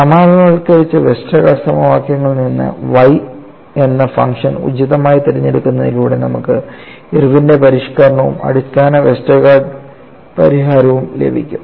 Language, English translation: Malayalam, From the generalized Westergaard equations, by appropriately choosing the function y, you could get Irwin’s modification as far as the basic Westergaard solution